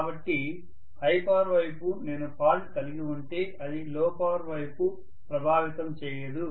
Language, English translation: Telugu, So in the high power side if there is some fault that will not affect the low power side, right